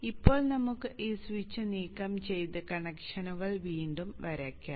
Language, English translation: Malayalam, Now let us remove this switch and redraw the connections